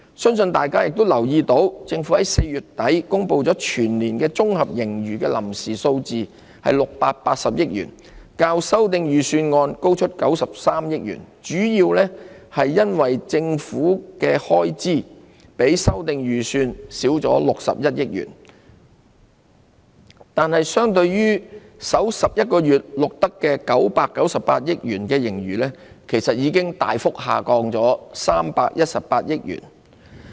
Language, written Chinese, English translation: Cantonese, 相信大家已留意到，政府在4月底公布全年度的綜合盈餘臨時數字為680億元，較修訂預算案高出93億元，主要是因為政府的開支較修訂預算少了61億元，但相對於首11個月錄得的998億元盈餘，其實已大幅下降318億元。, I believe Members must have noted the provisional consolidated surplus for the year as announced by the Government at the end of April was 68 billion which was 9.3 billion higher than the revised estimate . While the difference was mainly due to government expenditure that was 6.1 billion lower than forecast for the revised estimate the provisional figure saw a big reduction to the tune of 31.8 billion from the 99.8 billion - surplus in the first 11 months